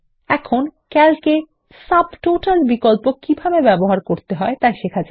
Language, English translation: Bengali, Now, lets learn how how to use the Subtotal option in Calc